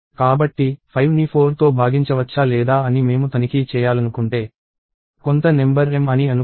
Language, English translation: Telugu, So, if I want to check whether 5 is divisible by 4 or not, right, let us assume that some number m is divisible by 4